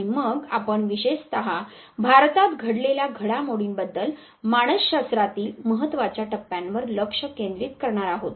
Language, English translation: Marathi, And then specifically we would be focusing at the major mile stones in psychology with respect to the developments that took place with in India